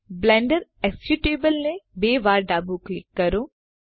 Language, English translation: Gujarati, Left double click the Blender executable